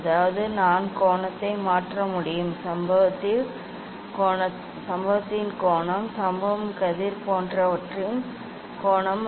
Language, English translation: Tamil, That means, I can change the angle of the; angle of the incident; angle of the incident ray etcetera